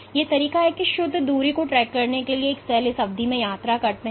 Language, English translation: Hindi, So, one way is to track the net distance that these cells travel over that duration